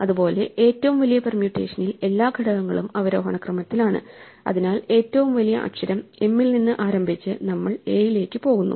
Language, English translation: Malayalam, Similarly, the largest permutation is one in which all the elements are in descending order, so we start with the largest element m and we work backwards down to a